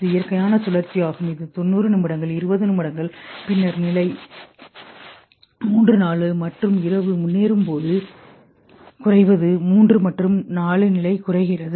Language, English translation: Tamil, This is a natural cycle which has happened 90 minutes 20 minutes then then stage 3, 4 and as night progresses what decreases is the stage 3 and 4